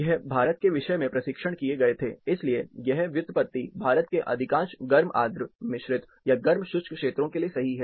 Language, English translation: Hindi, This, tests were done for Indian subject, so the derivation hold good for most of warm humid composite or hard dry bulb regions of India